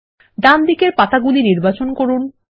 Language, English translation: Bengali, Select the leaves on the right